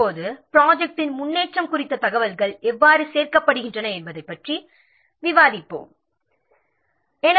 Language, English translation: Tamil, Now we will discuss how the information about the progress of the project is gathered